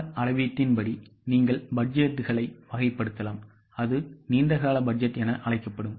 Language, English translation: Tamil, You can also classify the budgets as per the timeline that will be called as a long term budget